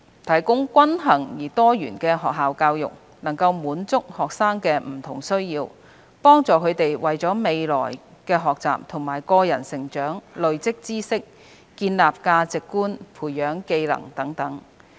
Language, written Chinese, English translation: Cantonese, 提供均衡而多元化的學校教育，能滿足學生的不同需要，幫助他們為了未來的學習和個人成長累積知識、建立價值觀、培養技能等。, Balanced and diversified school education can meet the diverse needs of students help them build knowledge values and skills for further studies and personal development